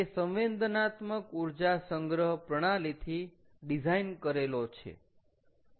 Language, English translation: Gujarati, it is designed with a sensible energy storage system